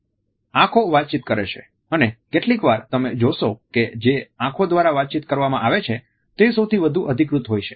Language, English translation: Gujarati, Eyes communicate and sometimes you would find that the communication which is done through eyes is the most authentic one